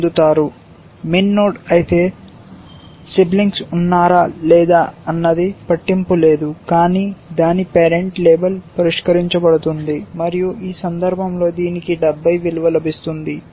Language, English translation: Telugu, If min node, it does not matter whether there are siblings or not, but its parent will get label solved, and it will get a value of 70 in this case